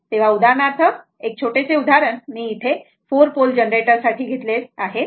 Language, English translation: Marathi, So, for example, one small example I have taken for a 4 pole generator right